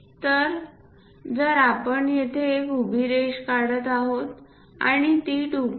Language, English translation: Marathi, So, if we are drawing a vertical line here and a unit of 2